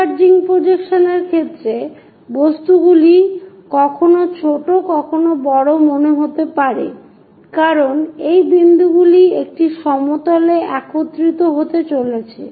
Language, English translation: Bengali, In the case of converging projections, the objects may look small may look large because this points are going to converge on to a plane